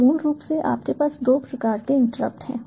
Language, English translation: Hindi, so basically you have two types of interrupts